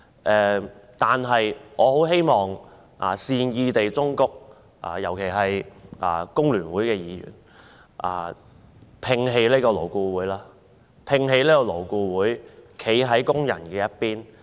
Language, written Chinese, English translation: Cantonese, 但是，我希望善意忠告各位議員——尤其是工聯會的議員——摒棄勞顧會，站在工人這邊。, But I wish to give a piece of well - meant advice to fellow Members especially those from FTU . Please abandon LAB and take side with workers . This is the only way to win the respect that workers deserve